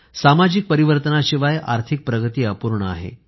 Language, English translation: Marathi, Economic growth will be incomplete without a social transformation